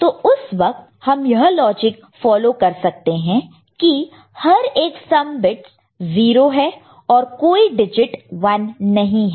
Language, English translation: Hindi, So, at that time we can follow this particular logic, that all the each of the sum bits are 0, no digit is 1